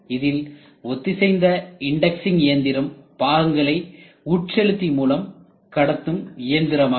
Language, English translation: Tamil, So, synchronous indexing machine means the parts are fed by feeder